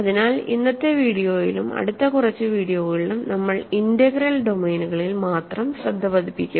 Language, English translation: Malayalam, So, in today’s video and in next few videos, we will work with only integral domains ok